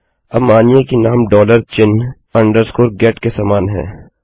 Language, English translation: Hindi, Now, let say name is equal to dollar sign, underscore, get